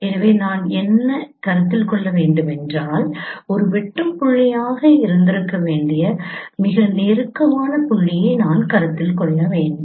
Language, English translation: Tamil, So what I should consider, I should consider the closest point which should have been an intersecting point